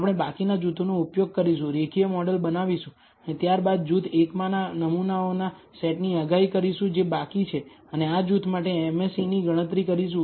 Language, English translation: Gujarati, We will use the remaining groups, build the linear model and then predict for the set of samples in group 1 that was left out and compute the MSE for this group